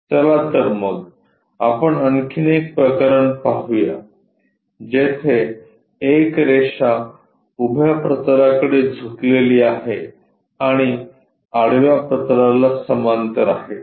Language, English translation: Marathi, Let us look at another case where a line is inclined to vertical plane and it is parallel to horizontal plane